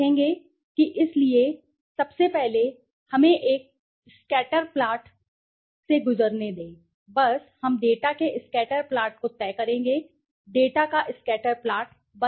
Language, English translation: Hindi, will see that, okay so first of all let us go through a scatter plot just we will decide/make scatter plot of the data, right